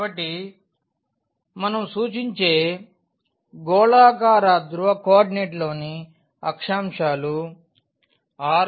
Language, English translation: Telugu, So, the coordinates in a spherical polar coordinates we denote by r theta and phi